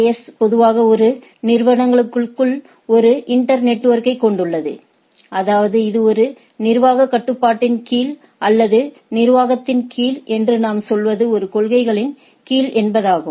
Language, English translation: Tamil, And AS normally consists of an inter network within an organizations; that means, it is somewhat under one administrative control or one administrative what we say policy right